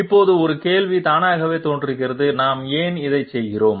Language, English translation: Tamil, Now one question automatically appears that why are we doing this